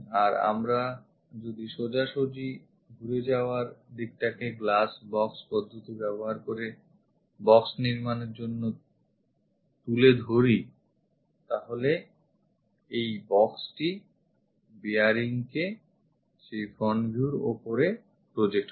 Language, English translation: Bengali, And if we are straight away picking that turn kind of direction construct a box using glass box method project this box ah project this bearing onto that front view